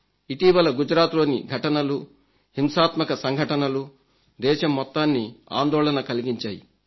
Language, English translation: Telugu, In the past few days the events in Gujarat, the violence unsettled the entire country